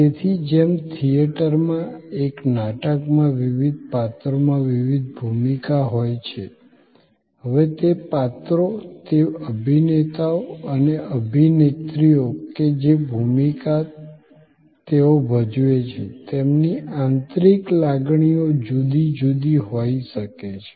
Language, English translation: Gujarati, So, just as in a play in a theater, there are different characters in different roles, now those characters, those actors and actresses as they perform may have different inner feelings